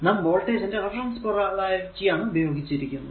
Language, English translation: Malayalam, So, sines are used to represent reference direction of voltage polarity